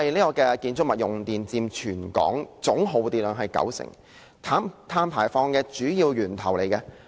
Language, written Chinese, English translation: Cantonese, 建築物用電佔全港總耗電量九成，是碳排放的主要源頭。, Buildings account for 90 % of the total electricity consumption in Hong Kong and they are the main source of carbon emissions